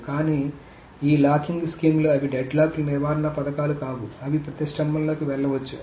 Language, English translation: Telugu, But this locking schemes, they do not, they are not deadlock prevention schemes, so they may go into deadlock